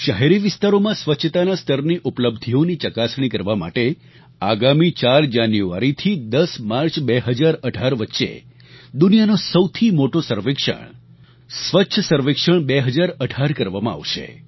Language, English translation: Gujarati, Cleanliness Survey 2018, the largest in the world, will be conducted from the 4th of January to 10th of March, 2018 to evaluate achievements in cleanliness level of our urban areas